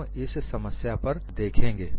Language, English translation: Hindi, We will look at the problem here